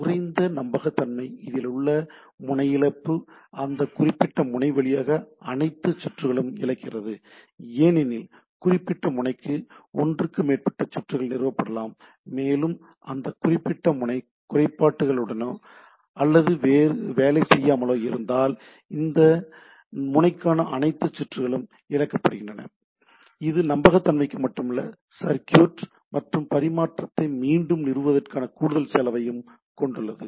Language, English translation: Tamil, Less reliable, loss of node loses as the all the circuits to that particular node and because a particular node can have more than one circuit which is established, and if that particular node is faulty or not working, then all the circuits to the node is lost it goes for not only reliability, it also have extra cost of reestablishing the country circuit and transmitting the things